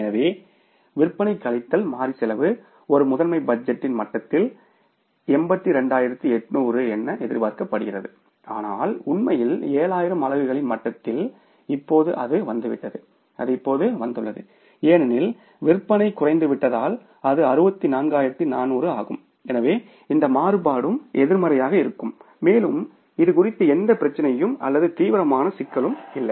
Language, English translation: Tamil, So, sales minus variable cost the contribution expected was 82,800 at the level of say master budget but actually at the level of 7,000 units now it has come down and it will come down so because sales have come down so it is 64,400 so this variance will also be negative and there is no special problem or any serious problem about it